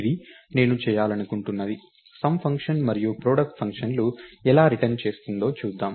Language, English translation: Telugu, So, this is something that I want to do, lets go and see how the sum function and product function are going to get written up